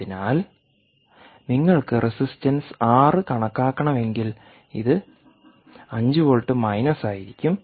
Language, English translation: Malayalam, so if you do, ah, if you want to calculate the resistance r, this will simply be five volts minus